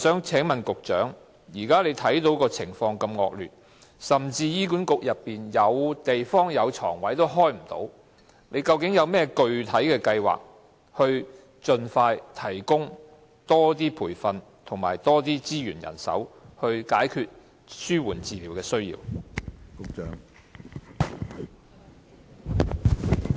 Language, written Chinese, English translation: Cantonese, 請問局長，鑒於現時的情況如此惡劣，而雖然醫管局轄下醫院有地方，但卻沒有擺放病床，究竟當局有何具體計劃盡快提供更多培訓、資源和人手，以解決對紓緩治療服務的需求？, In view of such terrible conditions at present and although spaces are available in hospitals under HA where no beds are placed what are the specific plans to provide more training resources and manpower as quickly as possible so as to meet the need for palliative care service?